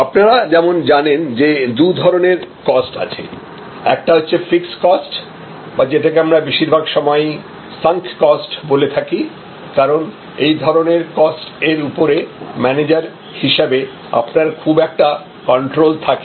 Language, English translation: Bengali, And as you know, there are two types of costs, some are fixed cost, we often call them sunk costs, because these are costs on which as a manager you may not have much of control